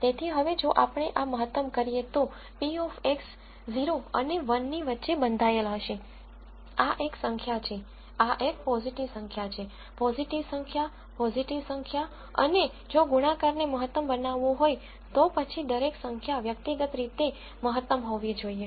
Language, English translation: Gujarati, So, now when we maximize this, then since p of X s are bounded between 0 and 1, this is a positive number, this is a positive number, positive number positive number and, if the product has to be maximized, then each number has to be individually maximized